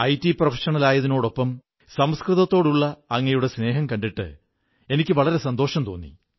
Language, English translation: Malayalam, Alongwith being IT professional, your love for Sanskrit has gladdened me